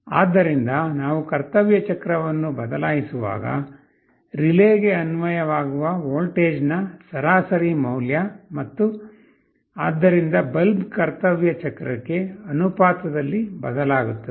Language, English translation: Kannada, So, as we change the duty cycle the average value of voltage that gets applied to the relay and hence the bulb will vary in proportional to the duty cycle